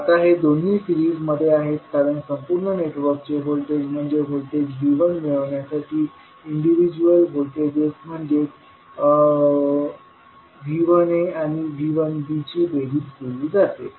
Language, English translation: Marathi, Now, these two are in series because the individual voltages that is V 1a and V 1b add up to give the voltage of the complete network that is V 1